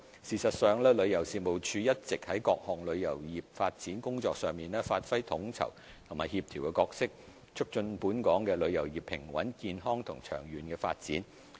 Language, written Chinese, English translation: Cantonese, 事實上，旅遊事務署一直在各項旅遊業發展工作上發揮統籌及協調角色，促進本港旅遊業平穩、健康及長遠發展。, In fact TC has all along played the role of coordinating and collaborating various work on tourism development so as to promote the stable healthy and long - term development of tourism in Hong Kong